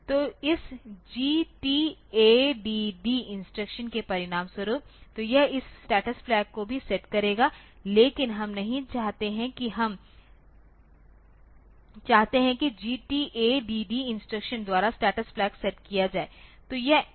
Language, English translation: Hindi, So, as a result this GTADD instruction so, it will be setting this status flags as well, but we do not want that we do not want the status flag to be set by the GTADD instruction